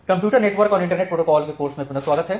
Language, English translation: Hindi, So welcome back to the course on Computer Network and Internet Protocols